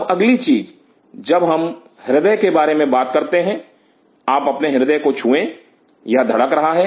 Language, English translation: Hindi, Now next thing when we talk about cardiac, you touch your heart it is beating